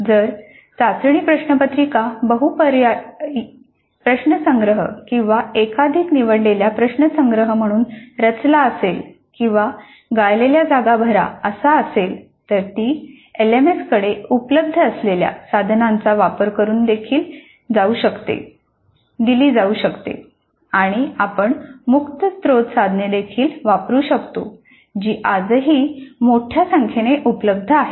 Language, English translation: Marathi, If the test paper is designed as a collection of multiple choice questions or multiple select questions or fill in the blank items, then that can be administered using a tool available with LMS or one could also use open source tools which are also available today in fair variety